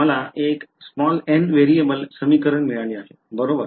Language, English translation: Marathi, I have got one equation n variables right